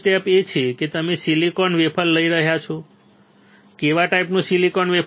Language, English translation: Gujarati, First step is you are taking a silicon wafer what kind of silicon